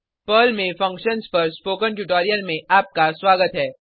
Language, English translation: Hindi, Welcome to the spoken tutorial on Functions in Perl